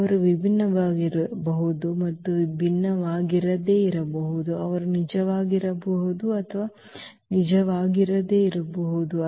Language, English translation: Kannada, They may be distinct and they may not be distinct, they may be real, they may not be real so whatever